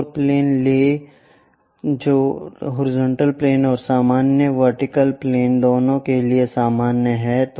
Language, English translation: Hindi, Take one more plane which is normal to both horizontal plane and also vertical plane